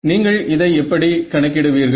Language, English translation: Tamil, So, how do you calculate this